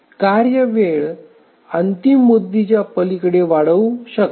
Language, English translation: Marathi, So, the task time may extend beyond the deadline